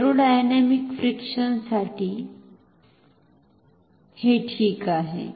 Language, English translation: Marathi, So, this is a aerodynamic friction